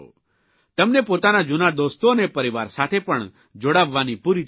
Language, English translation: Gujarati, You will also get an opportunity to connect with your old friends and with your family